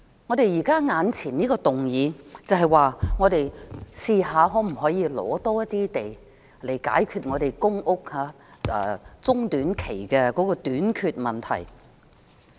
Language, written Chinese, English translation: Cantonese, 我們當前討論的這項議案，就是嘗試尋覓更多土地來解決中短期的公屋短缺問題。, The motion now under discussion tries to identify more sites to address the shortage of public rental housing in the short - to - medium term